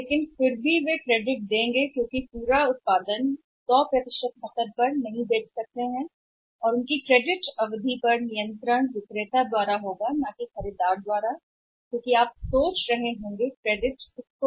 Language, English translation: Hindi, But still they will give credits because they cannot sell 100% production on cash for their credit period will be controlled by the seller not by the buyer because if you think about who say needs a credit